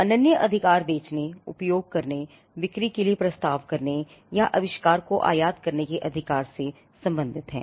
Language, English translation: Hindi, The exclusive right pertains to the right to make sell, use, offer for sale or import the invention